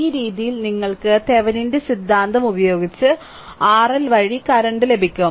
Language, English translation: Malayalam, Using Thevenin theorem, you have to find out the current through this